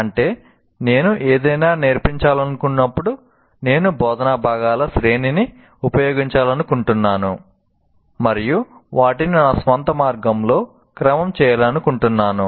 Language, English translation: Telugu, That means when I want to teach something, I may want to use a series of instructional components and sequence them in my own particular way